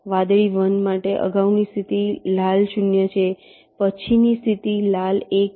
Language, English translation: Gujarati, for blue one, the previous state is red zero, next state is red one